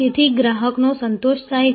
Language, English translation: Gujarati, So, that the customer satisfaction happens